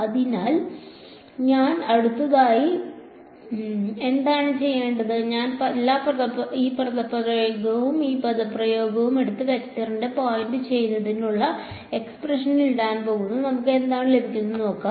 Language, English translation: Malayalam, So, what do I do next is I am going to take this expression and this expression and put it into the expression for pointing vector and we will see what we get